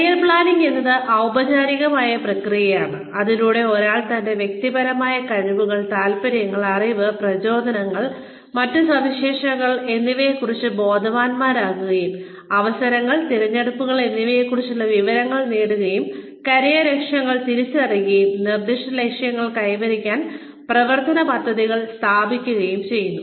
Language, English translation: Malayalam, Career Planning is the formal process, through which, someone becomes aware of, his or her personal skills, interests, knowledge, motivations, and other characteristics, and acquires information about, opportunities and choices, and identifies career goals, and establishes action plans, to attain specific goals